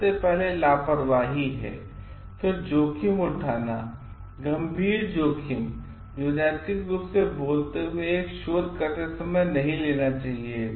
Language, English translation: Hindi, First is recklessness, taking risk, serious risks that ethically speaking should not be taken by one while conducting a research